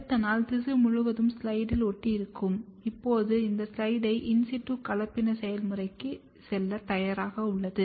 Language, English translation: Tamil, The next day you will have the tissue completely stuck to the slide as you can see over here and now this slide is ready to go for the process of in situ hybridization